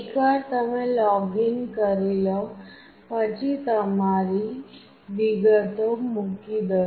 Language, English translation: Gujarati, Once you login, put up your details